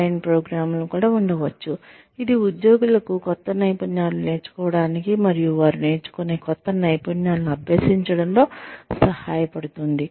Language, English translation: Telugu, There could also be online programs, that could help employees, learn new skills, and practice the new skills, they learn